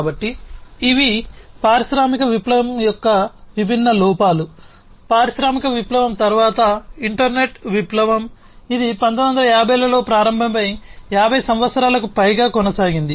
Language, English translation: Telugu, So, these are the different drawbacks of industrial revolution, the industrial revolution was followed by the internet revolution, which started around the nineteen 50s and continued for more than 50 years